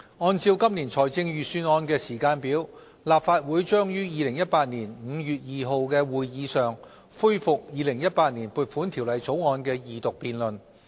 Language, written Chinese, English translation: Cantonese, 按照今年財政預算案的時間表，立法會將於2018年5月2日的會議上恢復《2018年撥款條例草案》的二讀辯論。, According to the Budget timetable this year the Legislative Council will resume the Second Reading debate of the Appropriation Bill 2018 at its meeting on 2 May 2018